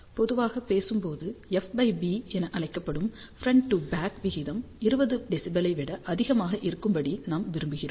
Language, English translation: Tamil, Generally speaking we want front to back ratio also known as F by B to be greater than 20 dB